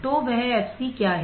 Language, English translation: Hindi, So, I can find the value of fc